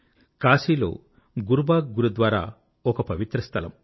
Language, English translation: Telugu, There is a holy place in Kashi named 'Gurubagh Gurudwara'